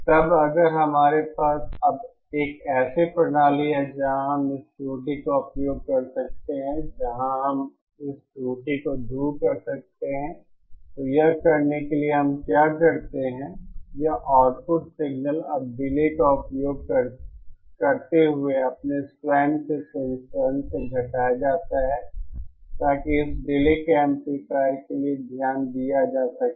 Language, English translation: Hindi, Then if we now have a system where we can use this error, where we can you know remove this error, so to do that what we do is this output signal is now subtracted from its own version using a delay, so as to account for this delay of this amplifier